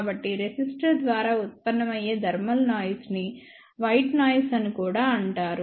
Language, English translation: Telugu, So, the thermal noise generated by resistor is also known as white noise